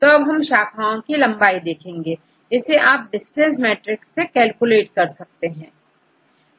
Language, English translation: Hindi, So, now we have, okay now you see the length of the branches, we can calculate from the distance matrix